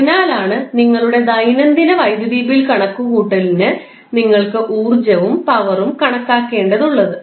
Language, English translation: Malayalam, So, that is why for our day to day electricity bill calculation you need calculation of power as well as energy